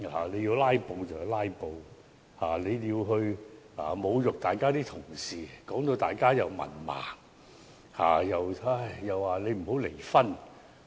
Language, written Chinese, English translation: Cantonese, 你要"拉布"便"拉布"，但你侮辱同事，指他們是文盲和不應離婚。, You can filibuster if you want to but you insulted other Members in saying that they are illiterate and should not divorce